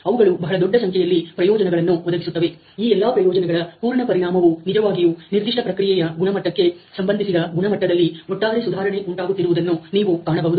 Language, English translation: Kannada, The provide a very, very large number of benefits the compound effect of all these benefits is really an overall improvement in the quality as you can see related particular a process quality